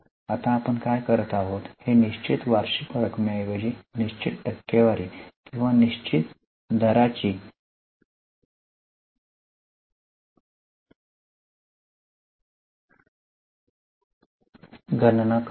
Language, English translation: Marathi, Now here what we do is instead of calculating a fixed annual amount, we calculate a fixed percentage or a fixed rate